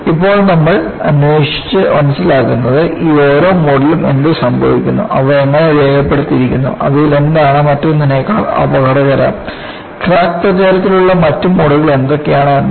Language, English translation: Malayalam, And, what we would see now is, we would go and investigate and understand, what happens in each of these modes and how they are labeled and which one of them is more dangerous than the other, what way the other modes play in crack propagation